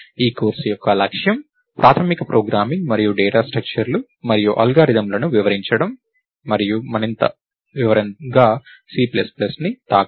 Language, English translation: Telugu, Since, this course's objective is basic programming and data structures and algorithms; we will not touch up on C plus plus in any further detail